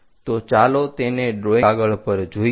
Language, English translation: Gujarati, So, let us look at on this drawing sheet